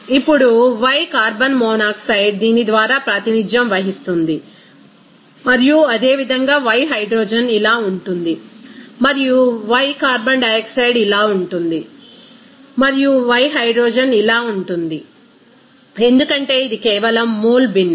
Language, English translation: Telugu, Now, then y carbon monoxide will be represented by this and similarly, y hydrogen will be like this and y carbon dioxide will be like this and y hydrogen will be like this, because this is simply mole fraction